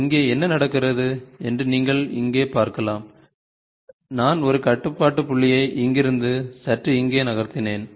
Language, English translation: Tamil, And here what happens is, you can see here, I have just moved a control point from here to slightly here